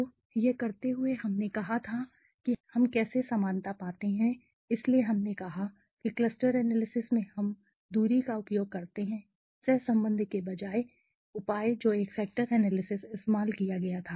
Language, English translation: Hindi, So, while doing this we had said how we find a similarity so we said that in cluster analysis we use the distance as a measure instead of the correlation which was used a factor analysis right